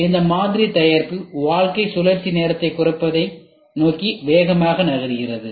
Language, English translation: Tamil, So, this model moves faster towards reducing the product life cycle time